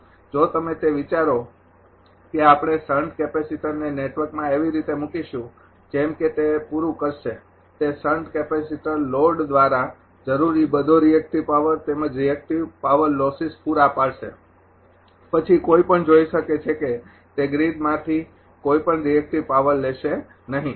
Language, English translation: Gujarati, If you think that we will place the sand capacitor in the network in such a fashion such that it will supply that sand capacitor will supply all the reactive power required by the load as well as the reactive power losses then one can see that it will not draw any any reactive power from the grid